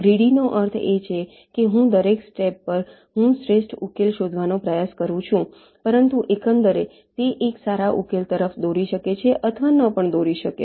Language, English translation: Gujarati, at every step i am trying to find out the best solution, but overall it may or may not lead to a good solution